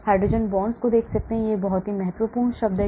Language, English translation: Hindi, Hydrogen bond that is the very, very important term